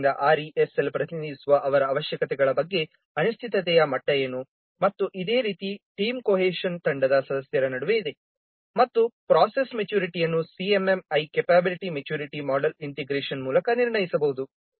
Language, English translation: Kannada, So what is the degree of uncertainty about their requirements that is printed by RESL and similar team cohesion, cohesion among the team members and process maturity, this could be assessed by the CMMI, capability maturity model integration